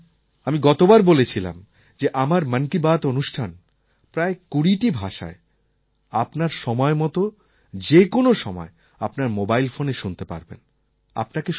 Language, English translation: Bengali, As you know and I had said it last time also, you can now listen to my Mann Ki Baat in about 20 languages whenever you wish to